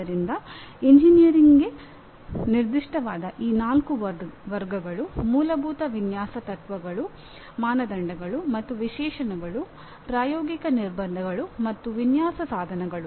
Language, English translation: Kannada, So these four categories specific to engineering are Fundamental Design Principles, Criteria and Specifications, Practical Constraints, Design Instrumentalities